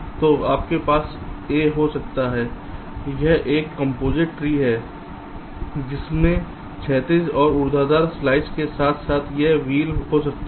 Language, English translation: Hindi, this is a composite tree which consists of horizontal and vertical slices, as well as this wheel